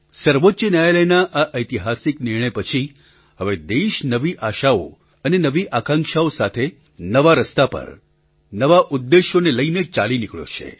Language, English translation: Gujarati, After this historic verdict of the Supreme Court, the country has moved ahead on a new path, with a new resolve…full of new hopes and aspirations